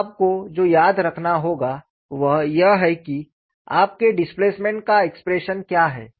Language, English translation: Hindi, Now, what you will have to remember is what is the expression for your displacement